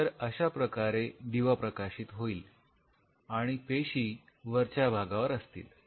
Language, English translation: Marathi, So, this is how your shining the light and the cells are growing on top of it